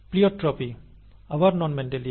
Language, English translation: Bengali, Pleiotropy is again Non Mendelian